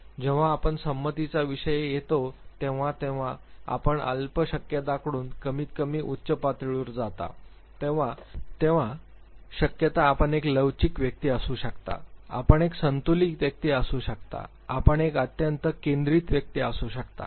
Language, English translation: Marathi, When we comes to consentaneousness, again the extreme possibilities when you move from low to high the possibilities are you could be a flexible individual, you could be a balanced individual, you could be an extremely focused individual